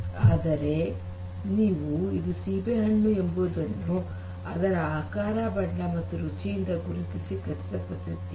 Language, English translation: Kannada, So, you make this confirmation or recognition of an apple based on its shape, color, and the taste